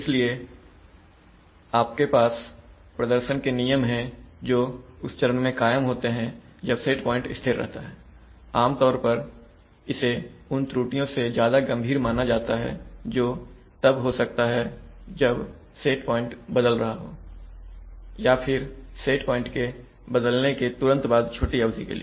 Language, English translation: Hindi, So if you have performance regulations which are persisting during that phase, when this is, when the set point is held then, that is generally considered much more serious than errors that can occur when the set point is changing or immediately after that time for a short duration